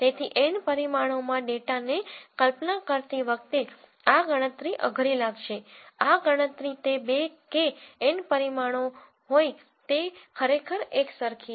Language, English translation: Gujarati, So, while visualizing data in N dimensions hard this calculation whether it is two or N dimension, it is actually just the same